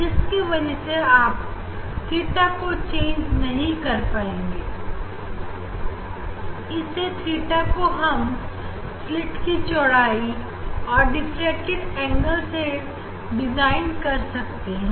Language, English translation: Hindi, the that theta is defined by this slit width ok, that theta is defined by the slit width and diffracted angle